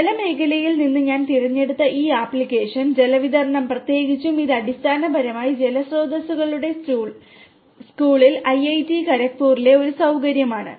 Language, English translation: Malayalam, So, this application I have chosen from the water sector; water distribution particularly and this is basically a facility that we have in IIT Kharagpur in the school of water resources